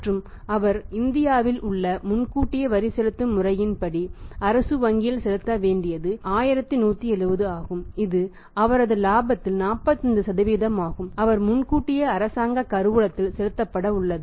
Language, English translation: Tamil, And other think he is going to pay to the government bank in India the advance tax payment system that is 1170 that is 45% of his profit is going to be paid by him deposited by him in the Government treasury as the advance tax